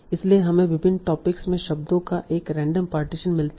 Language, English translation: Hindi, So you get a random partition of words into various topics